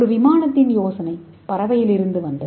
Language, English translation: Tamil, So we got the idea of aeroplane from the bird